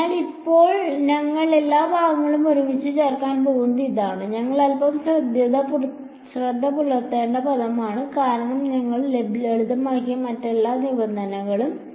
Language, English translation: Malayalam, So, now, we are going to put all of these chunks together this is that term we have to keep a bit of eye on right, because all other terms you simplified